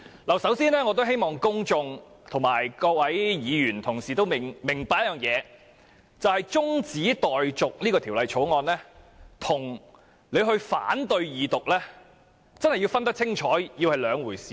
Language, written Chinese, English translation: Cantonese, 我首先希望公眾和各位議員同事明白，中止待續《條例草案》和反對《條例草案》二讀是兩回事。, First of all I hope that the public and Honourable colleagues will understand that adjourning the Bill and opposing the Second Reading of the Bill are two different things